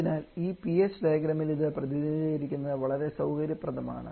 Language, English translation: Malayalam, And therefore, it is quite convenient to represent this one on this PH diagram